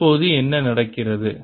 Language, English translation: Tamil, what is happening now